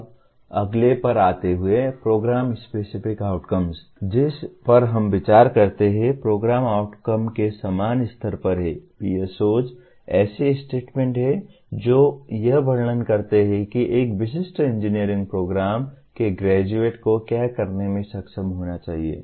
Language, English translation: Hindi, Now, coming to the next one, the program specific outcomes which we consider are at the same level as program outcomes, PSOs are statements that describe what the graduate of a specific engineering program should be able to do